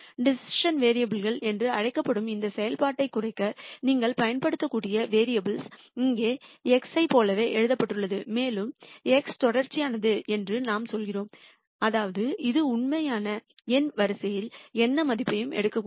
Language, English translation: Tamil, And the variable that you can use to minimize this function which is called the decision variable is written below like this here x and we also say x is continuous, that is it could take any value in the real number line